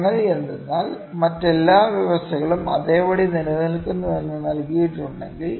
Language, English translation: Malayalam, The thing is that if it is provided that all other conditions remains same